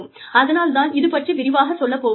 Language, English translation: Tamil, So, I will not go in to, too much detail now